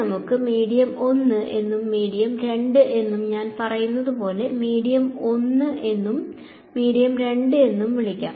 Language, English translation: Malayalam, So, let us call this medium 1 and medium 2 and as I say medium 1 and medium 2 so medium